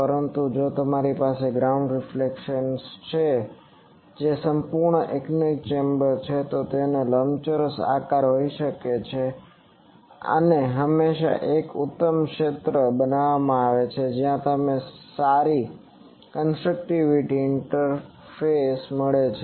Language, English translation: Gujarati, But if you have ground reflection that is a full anechoic chamber, it can have a rectangular shape and there is always a quite zone created where you get good constructive interference here